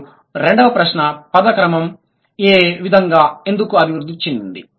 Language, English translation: Telugu, And the second question, why did the word order evolve the way they did